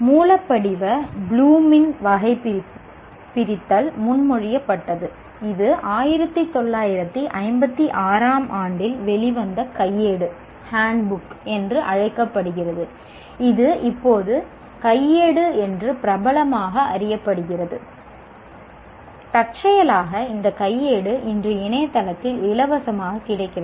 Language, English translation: Tamil, Now the original Bloom's taxonomy was proposed in the hand, it's called handbook which came out in 1956 and it is now still popularly known as handbook and incidentally this handbook is available today at least on the internet freely